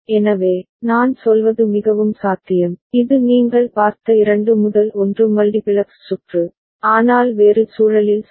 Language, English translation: Tamil, So, it is more likely to I mean, it is the way the 2 to 1 multiplex circuit you have seen, but in a different context right